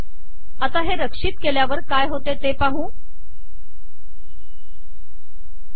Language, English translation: Marathi, Lets see what happens when I save this